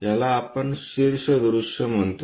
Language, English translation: Marathi, This is what we call top view